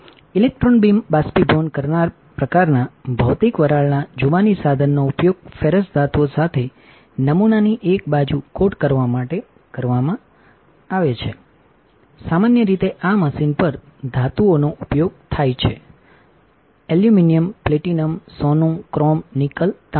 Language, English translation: Gujarati, An electron beam evaporator a type of physical vapor deposition tool is used to coat one side of a sample with ferrous metals commonly use metals on this machine include aluminum, platinum, gold, chrome, nickel, copper